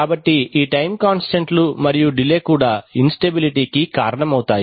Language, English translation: Telugu, So these time constants and delays also cause instabilities